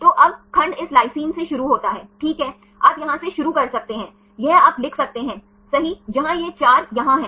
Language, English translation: Hindi, So, now, segment starts from this lysine right you can start from here this one right you can write, where it is 4 here